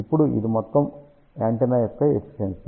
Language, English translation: Telugu, Now, this is the total antenna efficiency